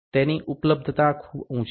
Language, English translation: Gujarati, The availability is pretty high